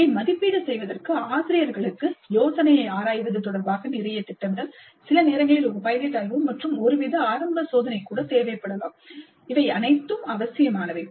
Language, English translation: Tamil, And for faculty to judge this, a lot of planning upfront with respect to examining the idea, maybe sometimes even a pilot study and some kind of a preliminary test, they all may be essential